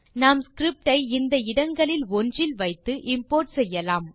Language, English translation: Tamil, We can place our script in any one of these locations and can import it